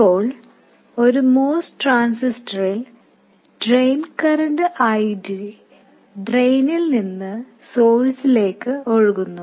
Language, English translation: Malayalam, Now, in a Moss transistor, the drain current ID flows from drain to source